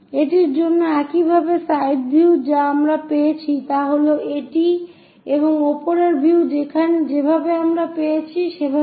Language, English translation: Bengali, For this one similarly, the side view what we got is this one and the top view what we got is in that way